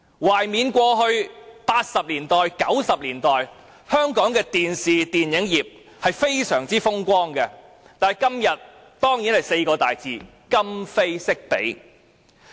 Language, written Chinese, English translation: Cantonese, "懷緬過去，在1980年代、1990年代，香港的電視、電影業實在非常風光，但今天只落得這4個大字——今非昔比。, As we may recall there were indeed some very blooming days of the television and film industries of Hong Kong in the 1980s and 1990s but things are no longer what they were before